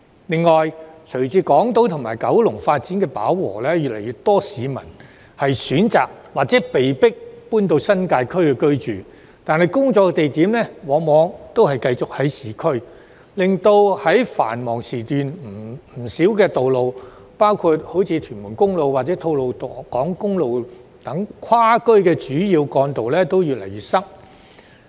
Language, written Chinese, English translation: Cantonese, 另外，隨着港島及九龍發展飽和，越來越多市民選擇或被迫搬到新界區居住，但他們工作的地點往往仍在市區，因而令不少跨區主要幹道，包括屯門公路及吐露港公路，在繁忙時段越來越擠塞。, Also as the development of Hong Kong Island and Kowloon has reached capacity an increasing number of people have chosen or been forced to move to the New Territories but still their workplaces are often located in urban areas thus resulting in more and more congestion at a number of major roads which link up different districts including Tuen Mun Road and Tolo Highway during the peak hours